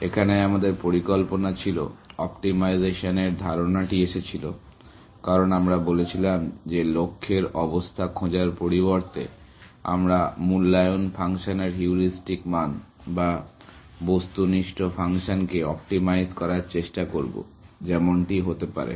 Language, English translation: Bengali, The idea was, that the idea of optimization came in, because we said that instead of looking for the goal state, we will try to optimize the heuristic value of the evaluation function, or the objective function, as the case maybe